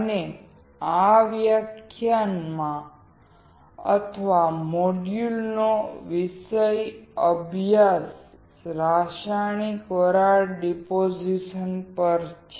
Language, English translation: Gujarati, Now, the topic in this lecture or module is on chemical vapor deposition